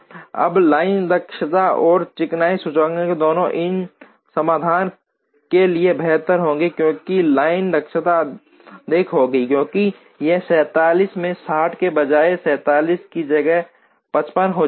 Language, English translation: Hindi, Now, both the line efficiency and the smoothness index will be better for this solution, because line efficiency will be higher, because it will become 47 by 55 instead of 47 by 60